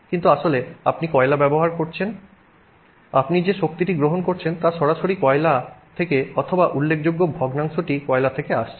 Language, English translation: Bengali, The power that you are receiving is directly from coal or significant fraction is from coal